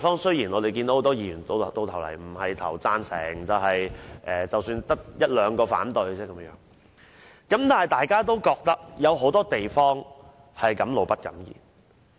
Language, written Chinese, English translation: Cantonese, 雖然很多議員最終會表決贊成，可能只得一兩位議員反對，但大家對很多問題其實是敢怒不敢言。, Although many Members will ultimately vote for the Bill and perhaps only one or two Members will vote against it Members are actually forced to keep their resentment to themselves and dare not comment on many problems